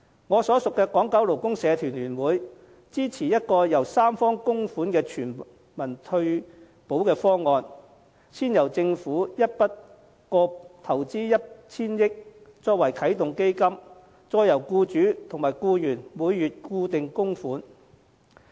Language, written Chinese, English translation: Cantonese, 我所屬的港九勞工社團聯會支持一個由三方供款的全民退保方案，先由政府一筆過投放 1,000 億元作啟動基金，再由僱主及僱員每月固定供款。, The Federation of Hong Kong and Kowloon Labour Unions FLU to which I belong supports a universal retirement protection option with tripartite contributions with a lump sum of 100 billion allocated by the Government first as a start - up fund to be followed by regular monthly contributions by employers and employees